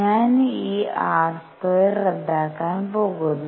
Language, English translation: Malayalam, I am going to cancel this r square